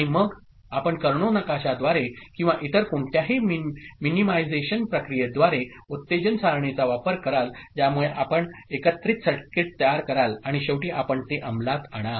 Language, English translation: Marathi, And then you use the excitation table through Karnaugh map or any other minimization process you get the combinatorial circuit made, and then finally you implement it right, fine